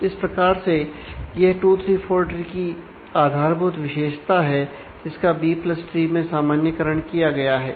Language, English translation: Hindi, So, that is a basic property of 2 3 4 tree generalized into B + tree